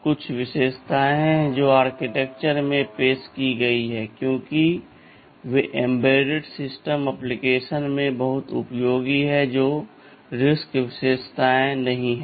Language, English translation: Hindi, ;T there are some features which that have been introduced in the architecture because they are very useful in embedded system applications, which are not RISC characteristics